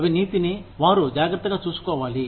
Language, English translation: Telugu, They need to take care of corruption